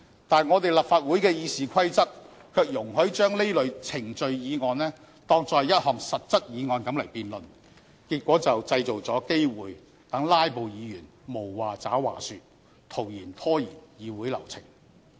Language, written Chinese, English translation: Cantonese, 但是，我們立法會的《議事規則》卻容許將這類程序議案當作是一項實質議案來辯論，結果製造了機會讓"拉布"議員無話找話說，徒然拖延議會流程。, But the Rules of Procedure of this Council treats procedural motions as motions with specific subject matters and allows debates to be conducted on these motions . This creates opportunities for filibustering Members to stall Council proceedings with aimless speeches